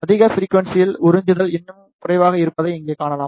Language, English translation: Tamil, You can see here at higher frequencies the absorption is even less